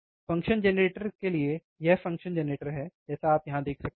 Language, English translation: Hindi, To the function generator, this is the function generator, like you can see here